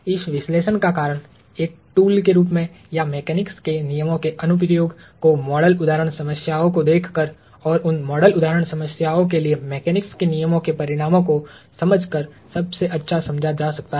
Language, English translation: Hindi, The reason for this is analysis as a tool or the application of the laws of mechanics can best be understood by looking at model example problems and understanding the outcomes of the application of the laws of mechanics to those model example problems